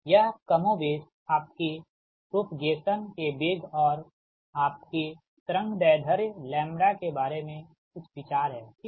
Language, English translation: Hindi, this is more or less some ideas regarding your velocity, your velocity of propagation and your wave length, lambda, right, but this is approximate